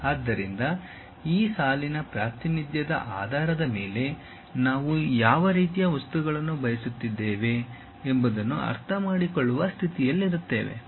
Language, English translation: Kannada, So, based on those line representation we will be in a position to understand what type of material we are using